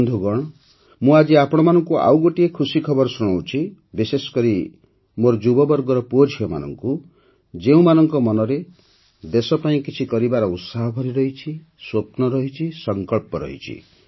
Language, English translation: Odia, Friends, today I am sharing with you another good news, especially to my young sons and daughters, who have the passion, dreams and resolve to do something for the country